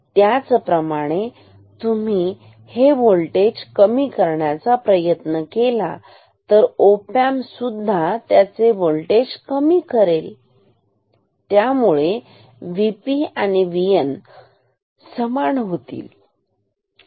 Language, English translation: Marathi, Similarly, if you try to decrease this voltage op amp will also decrease this voltage and thereby will make V P and V N equal